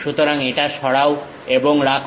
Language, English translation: Bengali, So, remove this and retain that